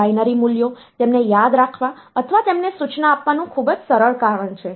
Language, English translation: Gujarati, Because of the very simple reason that binary values remembering them or instructing them becomes difficult